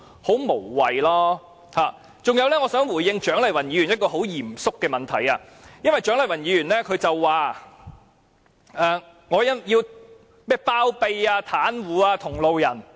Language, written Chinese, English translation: Cantonese, 此外，我想回應蔣麗芸議員一個很嚴肅的問題，因為蔣麗芸議員說我包庇、袒護同路人。, Moreover I would like to respond to a serious question from Dr CHIANG Lai - wan since she said I was harbouring and shielding my comrade